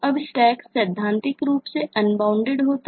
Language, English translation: Hindi, now stack theoretically is unbounded